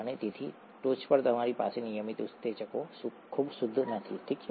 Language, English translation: Gujarati, And on top of that you have the regular enzymes not being very pure, okay